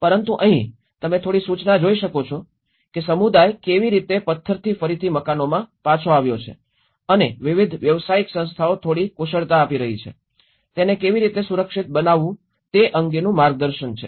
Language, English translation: Gujarati, But here, you can see some notice that how the community has come back to building with the stone and the different professional bodies are giving some expertise, some guidance on how to build it safer